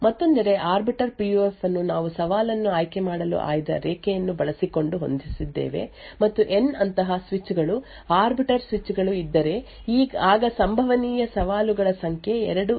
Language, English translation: Kannada, On the other hand, the Arbiter PUF we essentially set using the select line to choose a challenge and if there are N such switches arbiter switches which are present then the number of challenges possible is 2 power N